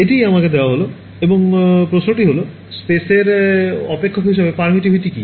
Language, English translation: Bengali, So, this is what is given to me and the question is: what is permittivity as a function of space